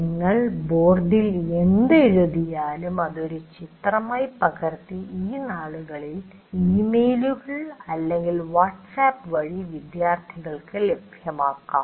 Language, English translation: Malayalam, These days, you can capture that and pass it on to the students through emails or through WhatsApp these days